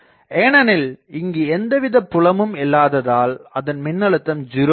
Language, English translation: Tamil, So, I can say that even if there is a current element here this voltage is 0 because no fields here